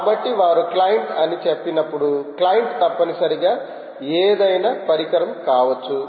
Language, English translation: Telugu, so when they say a client client essentially is a it can be any device, right